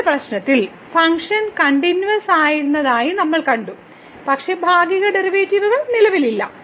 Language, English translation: Malayalam, In the earlier problem, we have seen the function was continuous, but the partial derivatives do not exist